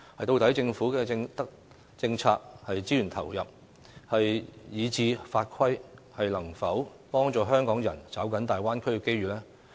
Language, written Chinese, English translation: Cantonese, 究竟政府的政策、資源投入以至法規，能否幫助香港人抓緊大灣區的機遇？, Can our Governments policies and resource allocation as well as our laws and regulations help Hong Kong people seize the opportunities arising from the Bay Area?